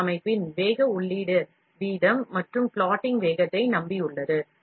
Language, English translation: Tamil, The speed of an FDM system is reliant on the feed rate and the plotting speed